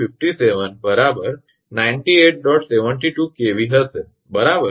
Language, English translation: Gujarati, 72 kV right